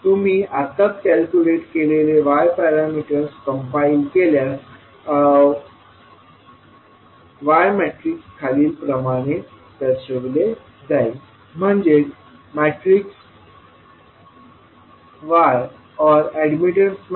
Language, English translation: Marathi, Now, if you compile the y parameters which you have just calculated, the y matrix will be as shown in this slide that is 0